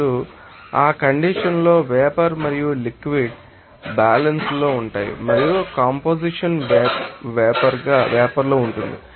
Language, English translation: Telugu, Now, at that condition vapor and liquid will be in equilibrium and the composition there will be that in the vapor